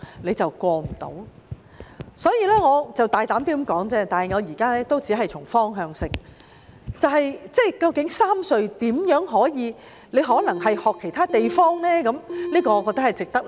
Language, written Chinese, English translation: Cantonese, 我只是大膽道出問題而已，我現在只是從方向提出建議，究竟三隧該如何處理，或可否學習其他地方的做法呢？, I am just pointing out the problems boldly and I am now putting forward some suggestions on the directions regarding how the three cross harbour tunnels should be handled . Or can we learn from the practice of other places?